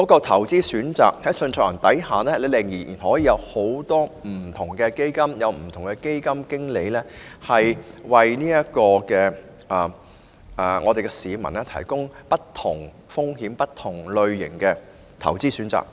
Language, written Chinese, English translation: Cantonese, 投資選擇方面，在單一受託人制度下，仍有很多不同的基金及基金經理，為市民提供不同風險及類型的投資選擇。, As for investment options under the single trustee system many different funds and fund managers are still available to offer investment options of various risks and types to the public